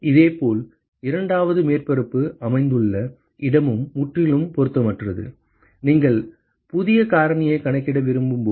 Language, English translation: Tamil, And similarly where the second surface is located is also completely irrelevant, when you want to calculate the new factor